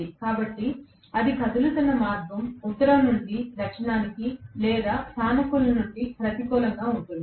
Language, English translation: Telugu, So, the way it is moving is from the north to south or from the positive to negative